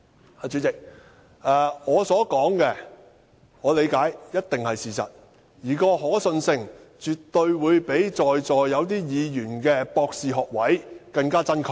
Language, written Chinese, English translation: Cantonese, 代理主席，我所說的，據我理解，一定是事實，而可信性絕對會比在座有些議員的博士學位更真確。, Deputy President what I have said are surely things that I believe to be true to the best of my understanding and they certainly deserve much greater credence than the doctoral degrees of some Members here